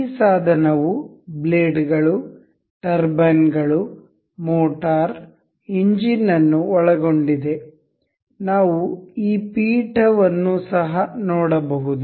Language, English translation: Kannada, This device includes blades, turbines, motor, engine, this pedestal we can see